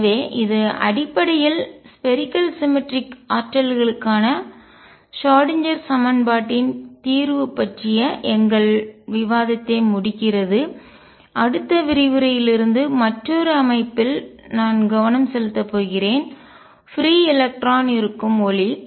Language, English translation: Tamil, So, this concludes basically our discussion of solution of the Schrödinger equation for spherically symmetric potentials from next lecture onwards, I am going to concentrate on another system which is free electron light